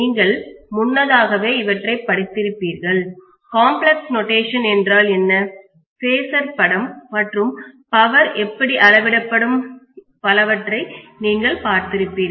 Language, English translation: Tamil, You must have studied this already you must have seen what is complex notation, what is phasor diagram, and how the power is measured and so on